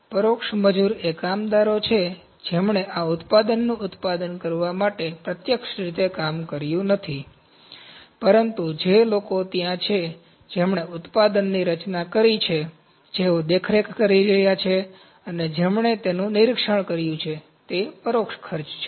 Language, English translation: Gujarati, Indirect labour is the workers, who have not work directly to produce this product, but the people who are there, who have designed the product, who are doing supervision, and who did inspection to those that is indirect cost